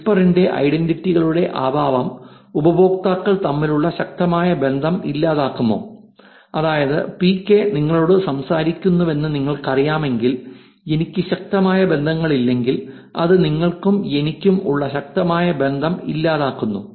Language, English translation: Malayalam, Does whisper's lack of identities eliminate strong ties between users, which is if I do not have strong ties which is if you do not know that PK is talking to you, does it eliminate the strong relationship that you and I would have